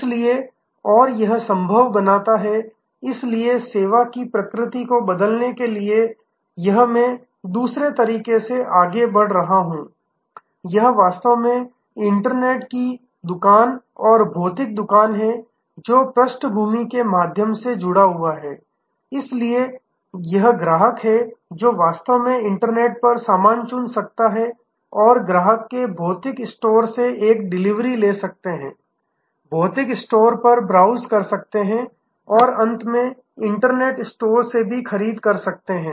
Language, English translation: Hindi, So, and it makes it possible therefore, to change the nature of the service this is I am moving to another way this is actually the internet shop and the physical shop at now, connected through at the background this different types of, so the customer can actually choose stuff on the internet and a take delivery from the physical store of the customer can browse at the physical store and finally, buy from the internet store